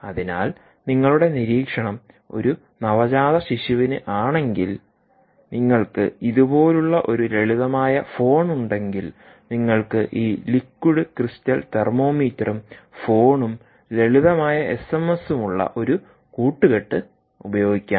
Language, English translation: Malayalam, if your monitoring, let us say, a neonate, and you simply have a simple phone like this, you could use a combination of this liquid crystal thermometer with that of ah um, a phone and simple s m s